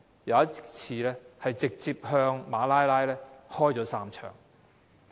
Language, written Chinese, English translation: Cantonese, 有一次，武裝分子向馬拉拉開了3槍。, On one occasion the militants fired three shots at Malala